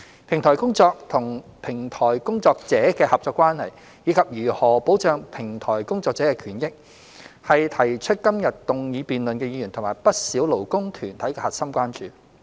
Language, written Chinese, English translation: Cantonese, 平台公司與平台工作者的合作關係，以及如何保障平台工作者的權益，是提出今日動議辯論的議員及不少勞工團體的核心關注。, The partnership between platform companies and platform workers and the ways to protect the rights and interests of platform workers are the key concerns of the Member moving this motion for debate today and many labour groups